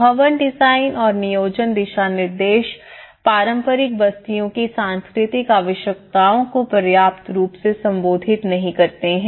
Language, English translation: Hindi, Building design and planning guidelines does not sufficiently address the cultural needs of traditional settlements